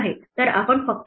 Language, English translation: Marathi, So, we just take